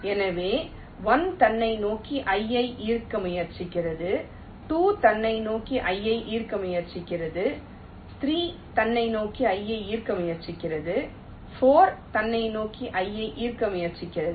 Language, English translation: Tamil, so one is trying to attract i toward itself, two is trying to attract i towards itself, three is trying to attract i toward itself and four is trying to attract i towards itself